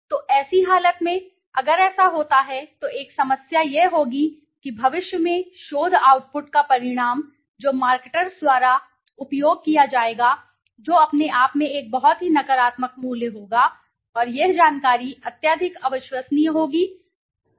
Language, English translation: Hindi, So, in such a condition if this happens then there would be a problem that in the future the outcome of the research output which would be used by the marketers that would have a very negative value in itself, and this information would be highly untrustworthy and highly unreliable